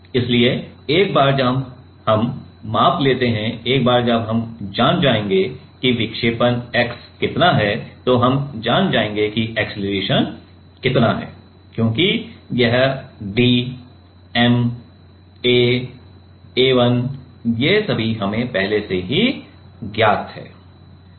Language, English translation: Hindi, So, once we measure, once we know that how much is a deflection x then, we know that how much is acceleration because, this d m capital A A 1 all these terms are already known to us